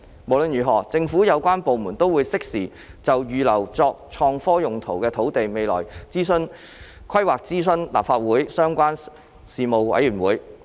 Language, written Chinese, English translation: Cantonese, 無論如何，政府有關部門都會適時就預留作創科用途土地的未來規劃諮詢立法會相關事務委員會。, In any event the relevant government departments will consult the relevant Panels of the Legislative Council in a timely manner on the future plans to reserve land for IT uses